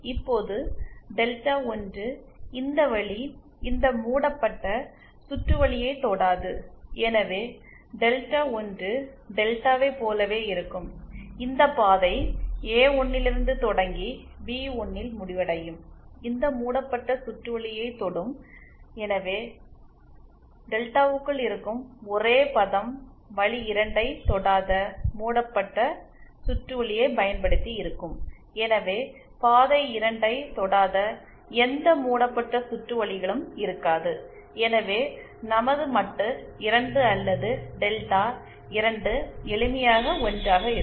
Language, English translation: Tamil, Now delta 1, this path does not touch this loop and hence delta one will be same as delta and this path starting from A1 and ending at B1, touches this loop and therefore the only term within delta that will be left using loops that do not touch the path 2, so would not have any loops which do not touch path 2, hence our determinant 2 or delta 2 will simply be 1